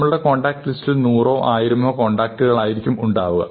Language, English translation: Malayalam, We might have a few hundred contacts, maybe a thousand contacts, maybe even a few thousand contacts